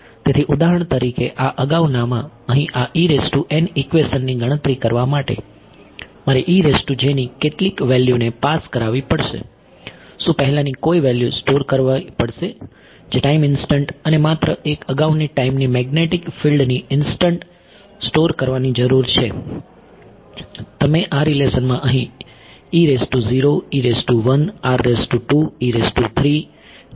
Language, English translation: Gujarati, So, for example, in this previous here this equation over here to calculate E n, how many passed values of E i do I need to store only one previous time instant and only one previous time instant of magnetic field, you do not see E 0, E 1, E 2, E 3 over here in this relation